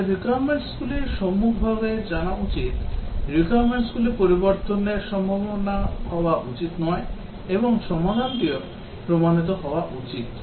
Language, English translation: Bengali, We should know the requirements upfront, the requirements should not be likely to change and also the solution should be proven